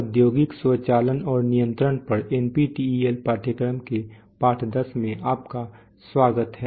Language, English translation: Hindi, Welcome to lesson 10 of the NPTEL course on industrial automation and control